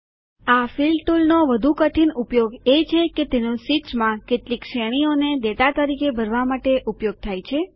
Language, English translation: Gujarati, A more complex use of the Fill tool is to use it for filling some series as data in sheets